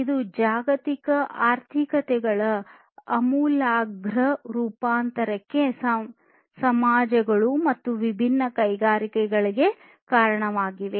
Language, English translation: Kannada, And this basically has resulted in the radical transformation of the global economies, the societies, and the different industries